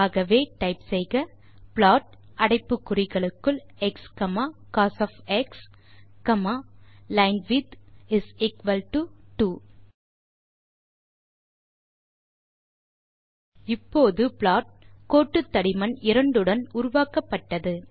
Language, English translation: Tamil, So type plot within brackets x,cos,linewidth is equal to 2 Now, a plot with line thickness 2 is produced